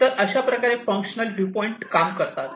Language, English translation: Marathi, So, this is how this functional viewpoint works